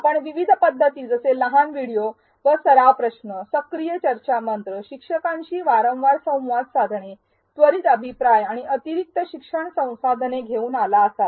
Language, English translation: Marathi, You may have come up with various approaches such as short videos and practice questions, active discussion forums, frequent interactions with instructors, immediate feedback and additional learning resources